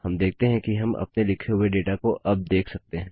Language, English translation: Hindi, We see that we are now able to view all the data which we had originally written